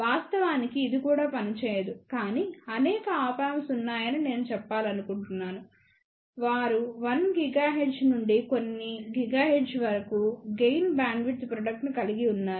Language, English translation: Telugu, In fact, it will not even work, but I want to mention there are several Op Amps; they have a gain bandwidth product of 1 gigahertz to even a few gigahertz